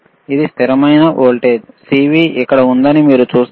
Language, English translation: Telugu, It is constant voltage, you see CV there is here